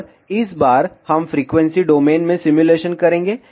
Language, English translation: Hindi, And this time, we will do the simulation in frequency domain